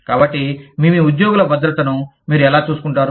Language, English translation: Telugu, So, how do you take care of your, the safety of your employees